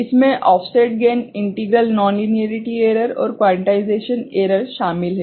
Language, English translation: Hindi, It includes offset gain, integral nonlinearity errors, and also quantization error